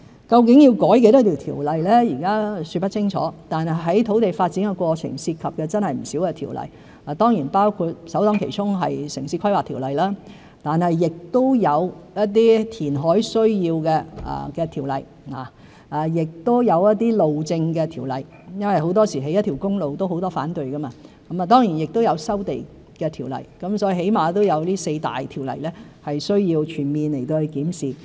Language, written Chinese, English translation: Cantonese, 究竟要修改多少項條例，現在說不清楚，但在土地發展的過程的確涉及不少條例，包括首當其衝的《城市規劃條例》，亦有一些填海需要的條例，亦有一些路政條例，因為很多時候，興建一條公路也有很多反對意見，當然亦有收地的條例，所以起碼有這四大條例需要全面檢視。, Although we cannot yet tell how many ordinances will be amended in this exercise land development does involve a range of ordinances with the first being the Town Planning Ordinance followed by those relating to reclamation and road construction . As we know road construction is often met with opposition and land resumption is no exception . Thus there are at least these four key areas of laws which warrant a comprehensive review